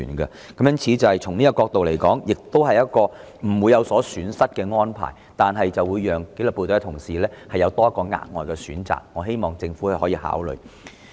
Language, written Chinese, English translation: Cantonese, 因此，從這個角度來說，這是一項不會有損失的安排，但卻可為紀律部隊同事提供額外選擇，希望政府予以考慮。, Hence from this point of view this arrangement can offer an additional option to the disciplined services staff without any harm done . I hope the Government will give it consideration